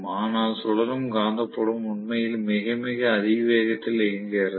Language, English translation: Tamil, But the revolving magnetic field is really running at a very, very high speed